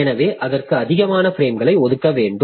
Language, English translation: Tamil, So, we have to allocate it more frames